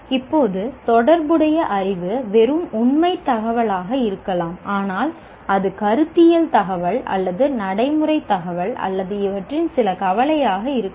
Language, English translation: Tamil, Now the relevant knowledge can be just factual information or it could be conceptual information or a procedural information or some combination of this